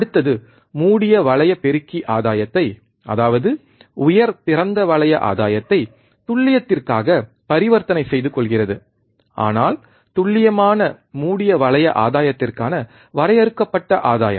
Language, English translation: Tamil, Next is close loop amplifier trades gain that is high open loop gain, for accuracy, but finite gain for accurate close loop gain